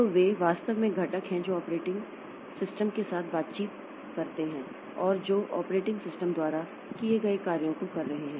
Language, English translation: Hindi, So they are actually the components that interacts with the operating system and that will be doing the works done by the operating system